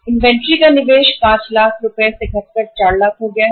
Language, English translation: Hindi, Investment to be made in the inventory has gone down from the 5 lakh to 4 lakhs